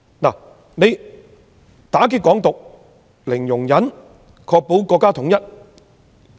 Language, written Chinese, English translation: Cantonese, 政府對"港獨"零容忍，以確保國家統一。, The Government adopts a zero - tolerance policy on Hong Kong independence so as to ensure national security